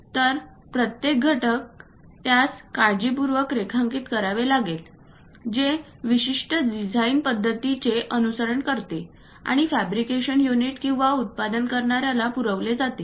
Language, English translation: Marathi, So, each and every component, one has to draw it carefully which follows certain design practices and to be supplied to the fabrication unit or manufacturing guys